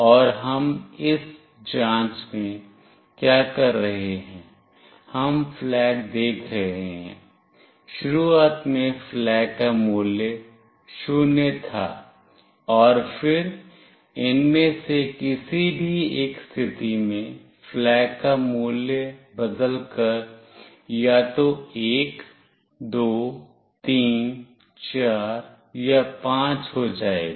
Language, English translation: Hindi, And what we are doing in this check, we are seeing flag , and then in any one of these conditions the flag value will change to either 1, 2, 3, 4 or 5